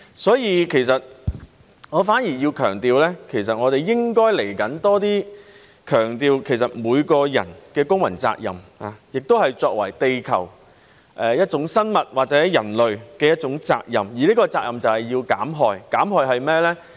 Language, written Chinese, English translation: Cantonese, 所以，我反而要強調的是，我們應該在未來要多強調每個人的公民責任，也是作為地球一種生物或人類的一種責任，而這責任就是要減害。, So quite on the contrary let me stress that in the future we should put more emphases on the civic responsibility of each person and our duty as a living thing on earth or as human beings and this very duty is harm reduction